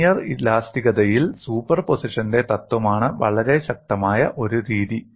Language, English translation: Malayalam, In linear elasticity, one of the very powerful methodologies is principle of superposition